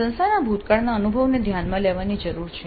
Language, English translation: Gujarati, The past experience of the institute needs to be taken into account